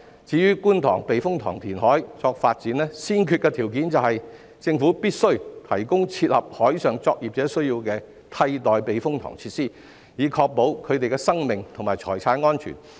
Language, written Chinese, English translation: Cantonese, 至於觀塘避風塘填海作發展，先決條件是政府必須提供切合海上作業者需要的替代避風塘設施，以確保他們的生命和財產安全。, As regards carrying out reclamation at the Kwun Tong Typhoon Shelter for the sake of development the prerequisite is that the Government must provide replacement typhoon shelter facilities which can meet the needs of marine workers to ensure the safety of their lives and properties